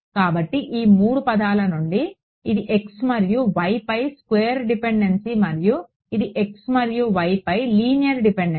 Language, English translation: Telugu, So, from these 3 terms this is squared dependence on x and y and this is a linear dependence on x and y right